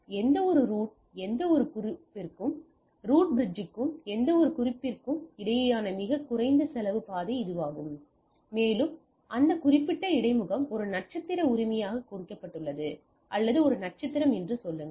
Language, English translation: Tamil, So, that is the least cost path between the any root any note to the any bridge to the root bridge and that particular interface is marked as a star right, or say one star